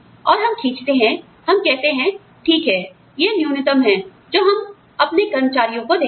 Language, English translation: Hindi, And, we draw, we say okay, this is the minimum, that we will give to our employees